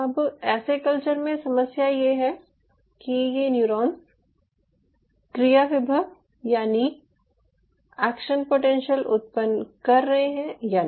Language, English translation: Hindi, now the problem with such culture is: are these neurons shooting action potentials or not